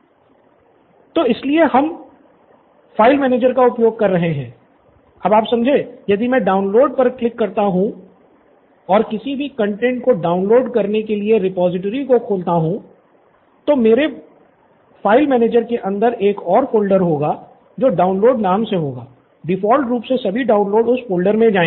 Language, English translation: Hindi, So that is why we are using a file manager, so I, if I click on download and open the repository to download any content I will have another folder inside my file manager which is downloads, all the downloads by default will go into that folder